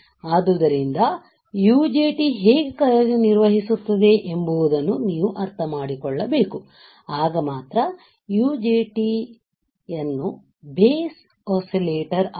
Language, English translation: Kannada, So, you have to understand how the UJT works, then only you will be able to understand how you can how you can design an UJT base oscillator